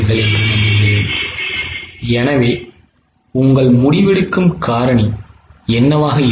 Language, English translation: Tamil, So, what will be your decision making factor